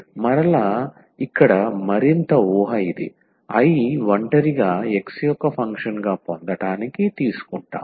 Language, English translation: Telugu, So, again further assumption here which we take to get this I as a function of x alone